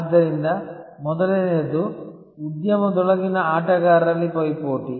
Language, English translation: Kannada, So, the first one is rivalry among players within an industry